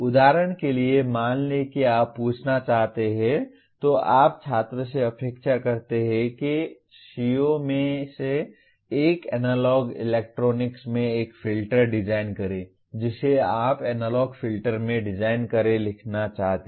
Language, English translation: Hindi, For example, let us say you want to ask, you expect the student one of the CO is design a filter in analog electronics you want to write a design in analog filter